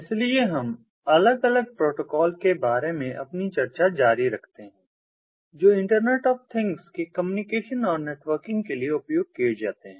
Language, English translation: Hindi, so we continue with our discussions about ah, the different protocols that are used for communication, ah and networking of ah, internet of things, ah um